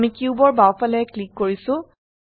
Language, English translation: Assamese, I am clicking to the left side of the cube